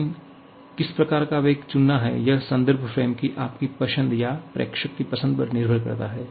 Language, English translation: Hindi, But what kind of velocity to choose that depends on your choice of the reference frame or choice of the observer